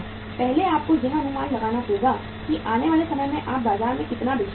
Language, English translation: Hindi, First you have to estimate how much you are going to sell in the market in the period to come